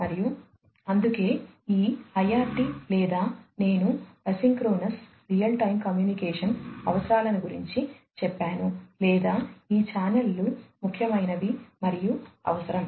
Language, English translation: Telugu, And, that is why this IRT or the; I soaked isochronous real time communication requirements or these channels are important and required